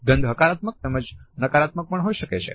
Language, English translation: Gujarati, A smell can be positive as well as a negative one